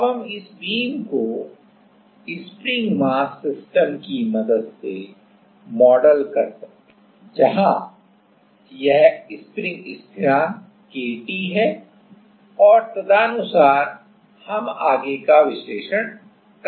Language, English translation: Hindi, Now, we can model this beam with the help of the spring mass system, where this is the spring constant K T and accordingly, we can do the further analysis